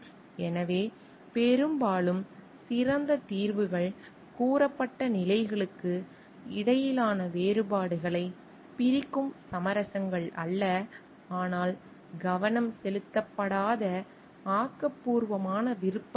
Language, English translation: Tamil, So, often the best solutions are not compromises that split the differences between the stated positions, but the creative options that have not been brought into focus